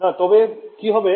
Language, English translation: Bengali, Yeah no so, what